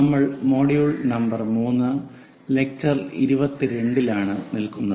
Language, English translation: Malayalam, We are in module number 3, lecture number 22